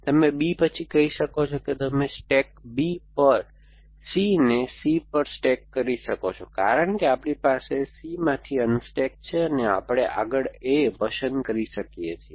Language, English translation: Gujarati, You can say after B you can stack C on stack B on to C and because we have unstack C from we can pick up A in the next you can and so on